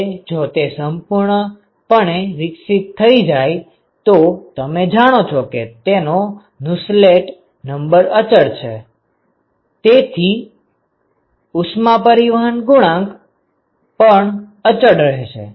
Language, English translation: Gujarati, Now, if it is fully developed you know that the Nusselt number is constant right; so, the heat transport coefficient is constant